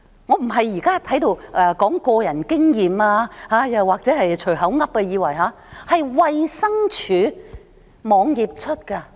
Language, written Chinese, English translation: Cantonese, 我不是在這裏說個人經驗或空口說白話，而是衞生署網頁的資料。, I am not talking about personal experience or making an empty talk . The information is taken from the website of the Department of Health